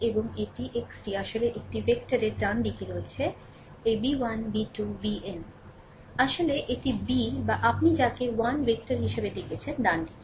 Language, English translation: Bengali, And this is x is actually n into 1 vector ah right hand side this b 1 b 2 b n it is actually b or what you call n into 1 vector, right